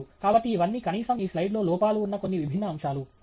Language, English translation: Telugu, So, these are all at least few different ways in which this slide has errors okay